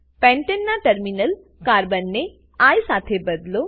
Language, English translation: Gujarati, Replace the terminal Carbon atoms of Pentane with I